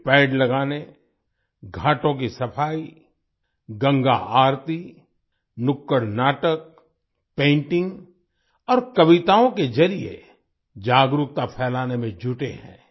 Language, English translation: Hindi, They are engaged in spreading awareness through planting trees, cleaning ghats, Ganga Aarti, street plays, painting and poems